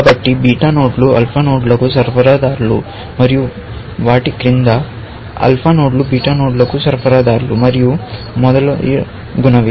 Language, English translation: Telugu, So, beta nodes are suppliers to alpha nodes and below them, alpha nodes are suppliers to beta nodes and so on and so forth